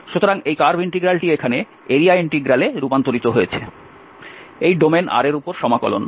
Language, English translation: Bengali, So this curve integral is transformed to this area integral, the integral over the domain R